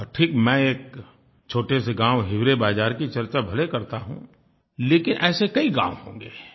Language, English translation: Hindi, I might be talking of a small place like Hivrebazaar, but there must be many other such villages